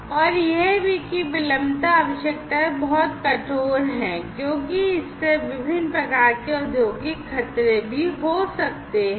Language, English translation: Hindi, And, also the latency requirements are very stringent because that can also lead to different types of industrial hazards